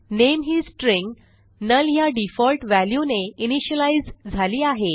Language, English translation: Marathi, And the String name has been initialized to its default value null